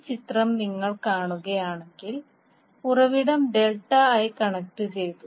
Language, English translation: Malayalam, So if you see in this figure, the source is connected in delta i